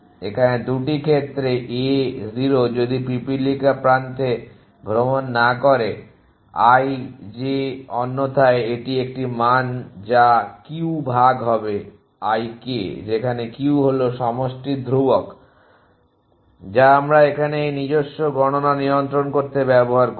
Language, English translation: Bengali, So that 2 cases a 0 if ant does not tours edge i j otherwise it is a value it is denoted by q divided by l k were q is sum constant that we use control this own computation